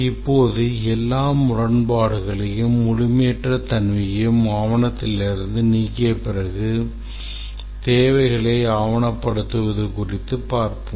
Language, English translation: Tamil, Now after we have removed all inconsistency anomalies incompleteness from the document, we go about documenting the requirements